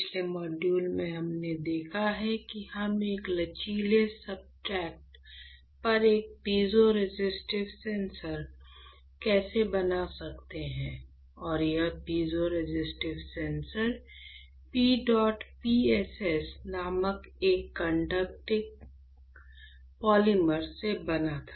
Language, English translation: Hindi, In the last model; what we have seen, we have seen how can we fabricate a piezoresistive sensor on a flexible substrate and that piezoresistive sensor was made out of a conducting polymer called PEDOT PSS right